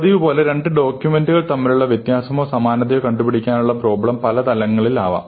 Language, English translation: Malayalam, Now, as usual this problem of the difference or similarity between two documents can be at many different levels